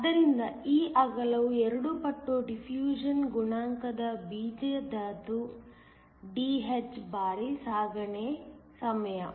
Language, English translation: Kannada, So, this width is equal to square root of 2 times the diffusion coefficient Dh times the transit time